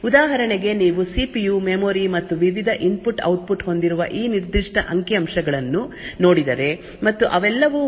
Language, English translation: Kannada, For example, if you look at these particular figures where you have the CPU, memory and the various input output and all of them share the same data and address bus